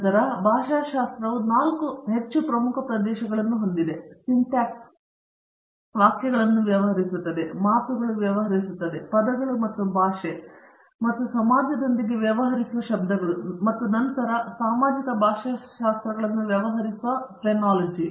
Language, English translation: Kannada, And then, for example, linguistics has 4 more core areas like, Syntax which deals with sentences, Morphology which deals with words, Phrenology which deals with sounds and then Social Linguistics that deals with language and society